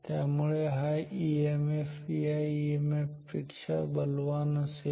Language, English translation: Marathi, So, this EMF will be stronger than this EMF and then this EMF